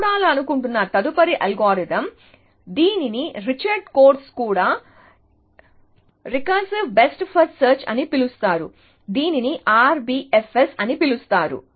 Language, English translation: Telugu, So, the next algorithm that we want to look at, which is also by Richard Korf is called recursive best first search, popularly known as RBFS